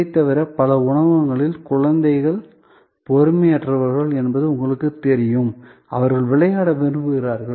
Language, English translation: Tamil, Besides that, in many restaurants there are you know children, they are impatient, they would like to play